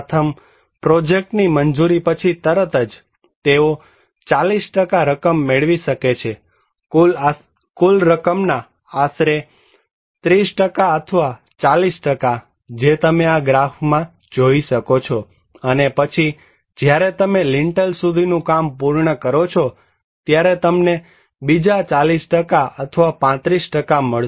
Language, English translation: Gujarati, First; just after the sanction of the project, they can get 40% of the; around 30% or 40% of the money you can see this graph and then when you finish the lintel level, you get another 40% or 35%